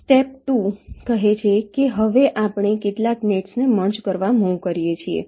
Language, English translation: Gujarati, step two says: now we move to merge some of the nets